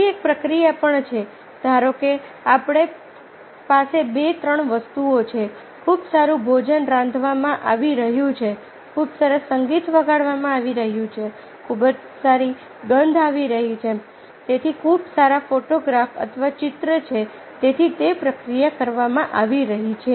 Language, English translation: Gujarati, suppose we are having two, three things: very good food is being cooked, very nice musing is being played, very good, the smell is coming, so are very good photograph or picture is there, so it is being processed